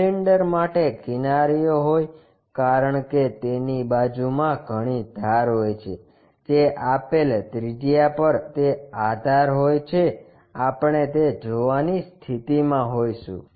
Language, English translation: Gujarati, For cylinder the edges because it is having many edges on that side whatever the atmost which is at a given radius that edge we will be in a position to see that